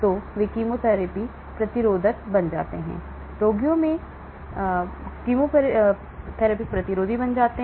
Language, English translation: Hindi, So, they become chemo therapy resistance; the patients become chemotherapy resistance